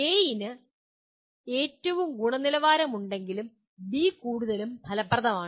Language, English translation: Malayalam, A has the highest quality but B is more effective